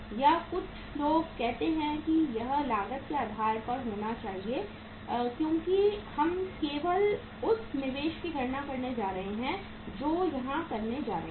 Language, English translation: Hindi, Or some people say that it should be on the cost basis because we are only going to calculate the investment we are going to make here